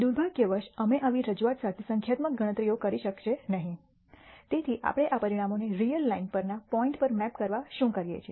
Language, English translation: Gujarati, Unfortunately, we will not be able to do numerical computations with such rep resentation therefore, what we do is to map these outcomes to points on the real line